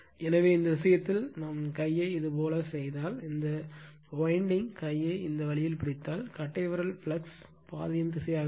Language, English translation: Tamil, So, in this case if you make it like this by right hand, if you grab this way your what you call this winding by right hand, then thumb will be the direction of the flux path